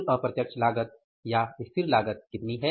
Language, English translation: Hindi, Indirect cost is also there, what is the indirect cost now